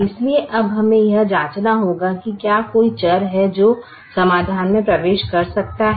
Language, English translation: Hindi, so we know how to check whether there is a variable that can enter the solution